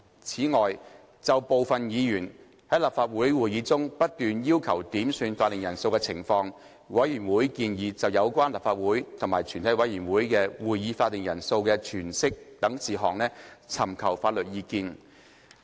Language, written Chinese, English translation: Cantonese, 此外，就部分議員在立法會會議中不斷要求點算法定人數的情況，委員會建議就有關立法會及全體委員會的會議法定人數的詮釋等事宜，尋求法律意見。, Moreover regarding the incessant quorum calls at Council made by certain Members the Committee proposed seeking legal advice on issues such as the interpretation of the quorum of the Legislative Council and of a committee of the whole Council